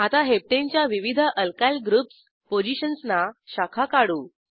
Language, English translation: Marathi, Now lets branch Heptane using Alkyl groups at various positions